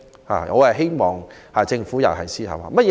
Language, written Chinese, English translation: Cantonese, 我希望政府就此思考一下。, I hope the Government will give some thoughts to this